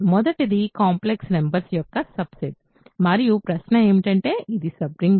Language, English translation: Telugu, The first one is a subset of complex numbers and the question is it a sub ring